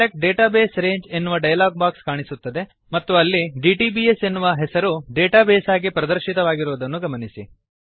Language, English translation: Kannada, Notice, that in the Select Database Range dialog box that appears, the name dtbs is listed as a database